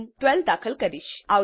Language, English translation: Gujarati, I will enter 25